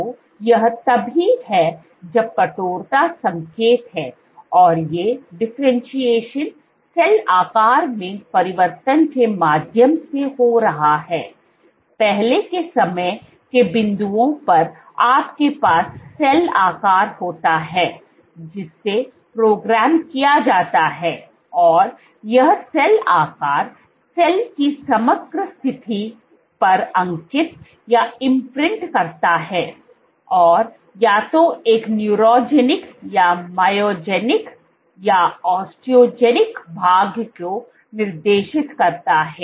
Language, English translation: Hindi, So, this is also even though stiffness is the signal, but this is happening these differentiation is happening through changes in cell shape; at earlier time points you have cell shape being programmed and this cell shape imprints on the overall state of the cell and dictates either a neurogenic or myogenic or osteogenic fate